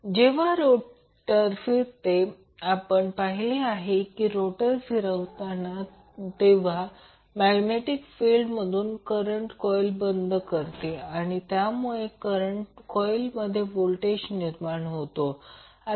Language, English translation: Marathi, Now, when the rotor rotates, as we saw that when you rotate the rotor the magnetic field will cut the flux from these coils and the voltage will be inducing these coils